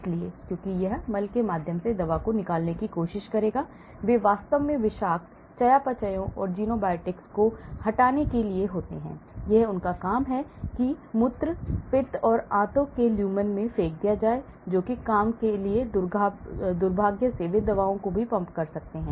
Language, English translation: Hindi, So, because it will try to efflux and remove the drug through the faeces, they are meant to remove toxic metabolites and xenobiotics in fact, that is their job to throw them into urine, bile and intestinal lumen that is the job but unfortunately they may even throw the drugs as well